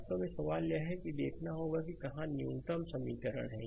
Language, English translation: Hindi, Actually question is that you have to see that where you have a minimum number of equation